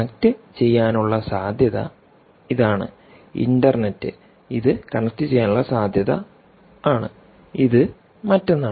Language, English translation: Malayalam, this is a possibility to connect, or this is another possibility to connect